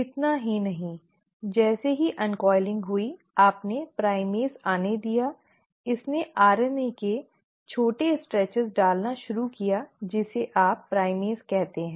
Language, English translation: Hindi, Not only that, as soon as the uncoiling happened you had the primase come in; it started putting in small stretches of RNA which you call as the primer